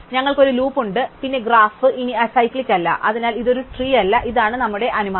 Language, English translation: Malayalam, And we have a loop, then the graph is no longer acyclic, so it is not a tree which is our assumption to be given